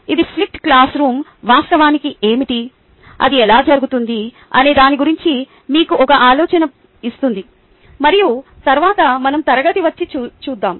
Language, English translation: Telugu, it will give you an idea of what the flipped classroom actually is, ok, how it is done, and then let us come back and look at it